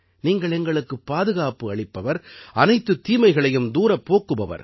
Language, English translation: Tamil, You are the protector of us and keep us away from all evils